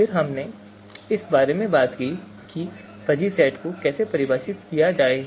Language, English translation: Hindi, Then we also talked about how to define a fuzzy set